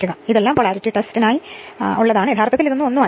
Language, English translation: Malayalam, So, this is this isthis is all for polarity test nothing is there actually alright